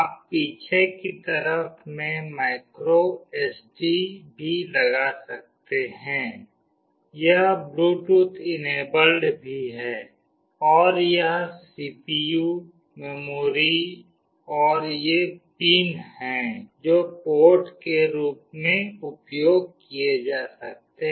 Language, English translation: Hindi, You can also put a micro SD in this back side, it is also Bluetooth enabled, and this is the CPU, the memory, and these are the pins that can be used as ports